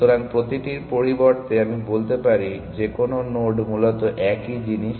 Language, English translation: Bengali, So, instead of every let me say any node which is the same thing essentially